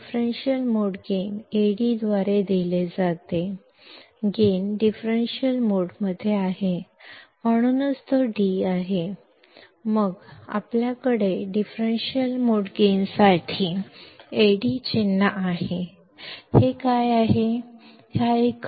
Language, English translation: Kannada, Differential mode gain is given by Ad; the gain is in differential mode, that is why it is d; then we have the symbol Ad for differential mode gain